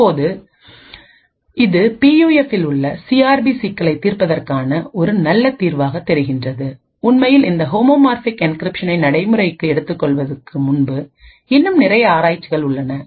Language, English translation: Tamil, Now this seems like a very good solution for solving CRP problem in PUF, there are still a lot of research before actually taking this homomorphic encryption to practice